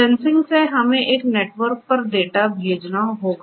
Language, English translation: Hindi, From sensing we have to send the data over a network